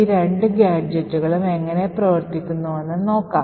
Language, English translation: Malayalam, So, let us see how these two gadgets work together to achieve our task